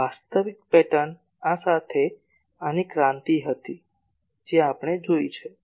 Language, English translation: Gujarati, The actual pattern was a revolution of these along this that in that we have seen